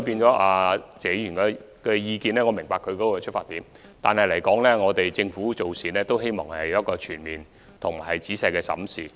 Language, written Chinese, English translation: Cantonese, 就謝議員的意見，我明白他的出發點，但政府希望作出全面及仔細審視。, I do understand the underlying rationale for Mr TSEs suggestion but the Government hopes to conduct a comprehensive and thorough review on the situation